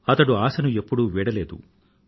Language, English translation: Telugu, He never gave up hope